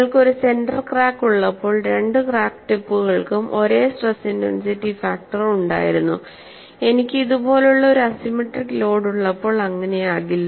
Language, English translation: Malayalam, When you have a center crack, both the crack tips had the same stress intensity factor; which will not be the case when I have a unsymmetric load like this